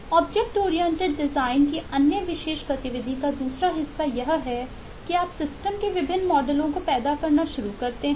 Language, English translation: Hindi, the second part of eh, the other characteristic activity of eh object oriented design, is you start generating a whole lot of different models of the system